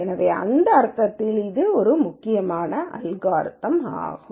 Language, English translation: Tamil, So, it is an important algorithm in that sense